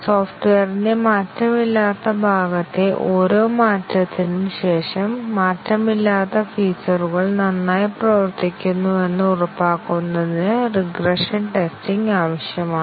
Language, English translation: Malayalam, The regression testing is needed after every change on the unchanged part of the software, to ensure that the unchanged features continue to work fine